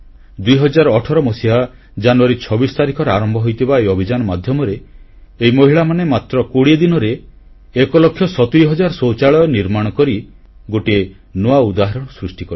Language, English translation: Odia, Under the auspices of this campaign starting from January 26, 2018, these women constructed 1 lakh 70 thousand toilets in just 20 days and made a record of sorts